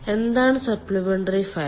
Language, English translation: Malayalam, what is supplementary fired